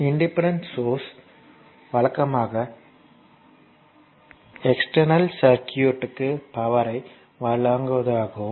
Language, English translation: Tamil, So, independent sources are usually meant to deliver power to the, your external circuit